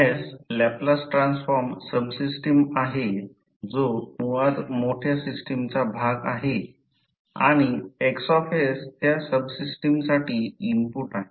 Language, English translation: Marathi, So Fs is the Laplace transform subsystem that is basically the part of a larger system and Xs is the input for that subsystem